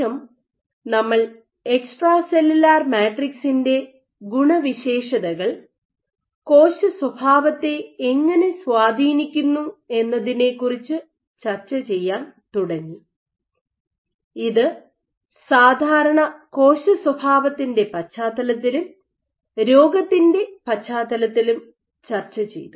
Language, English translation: Malayalam, After that we started discussing about how ECM properties influence cell behaviour and this was both in the context of normal cell behaviour and in case of disease